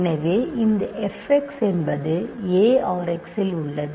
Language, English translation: Tamil, So, this f x in a R x